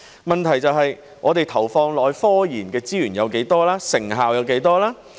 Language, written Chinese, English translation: Cantonese, 問題在於我們投放到科研的資源有多少、成效有多少。, The question lies in how many resources we have ploughed into scientific research and how effective the results are